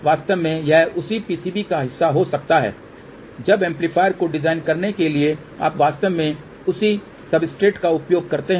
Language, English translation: Hindi, In fact, it can be part of the same PCB after the amplifier has been designed you actually use the same substrate